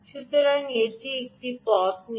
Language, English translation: Bengali, so it has taken this route